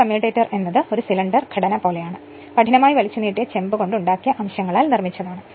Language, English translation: Malayalam, A commutator is a cylindrical structure built up of segments made up of hard drawn copper